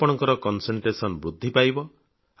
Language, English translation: Odia, Your concentration will increase